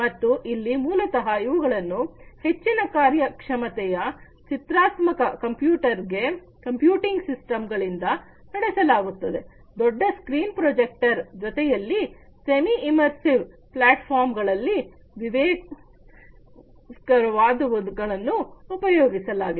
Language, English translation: Kannada, And here basically these are powered by high performance graphical computing systems, coupled with large screen projectors these are some of the things that are used for semi immersive platforms